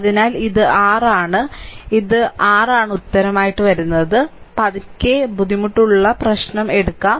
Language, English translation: Malayalam, So, this is your ah ah so, this is your answer, right slowly and slowly we will take difficult problem